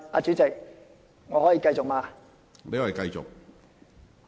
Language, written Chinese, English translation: Cantonese, 主席，我可以繼續嗎？, President may I continue?